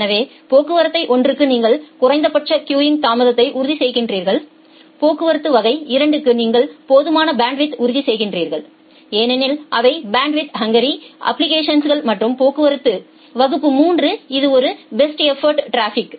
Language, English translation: Tamil, So, for traffic class 1 you ensure minimum queuing delay, for traffic class 2 you ensure sufficient bandwidth because those are bandwidth hungry applications and traffic class 3 it is a best effort traffic